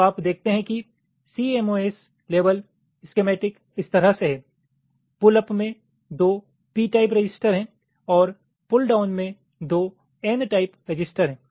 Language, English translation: Hindi, so you see, the cmos level schematic is like this: there are two p type transistors in the pull up and two i means n type transistor in the pull down